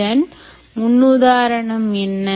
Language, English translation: Tamil, so what is the paradigm here